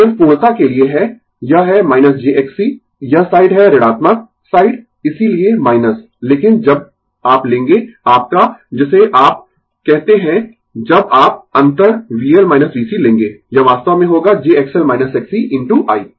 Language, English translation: Hindi, This is just for the sake of completeness, this is minus j X C I this side is negative side that is why minus, but when you will take the your what you call when you will take the difference V L minus V C, it will be actually j X L minus X C into I right